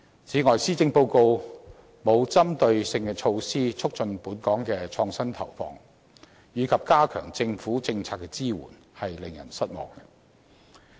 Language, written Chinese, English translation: Cantonese, 此外，施政報告沒有針對性措施，促進本港的創新投放或加強政府政策支援，是令人失望的。, It is also disappointing that the Policy Address offers no targeted measures to boost resources allocation or policy support for innovation and technology in Hong Kong